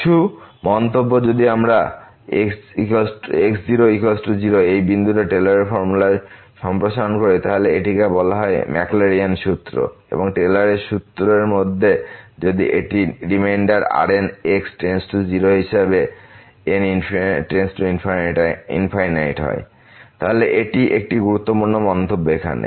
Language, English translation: Bengali, Some remarks so if we set is equal to 0 point of expansion in this Taylor’s formula then it is called the Maclaurin’s formula and in the Taylor’s formula if it is reminder goes to 0 as goes to infinity, so this is an important remark here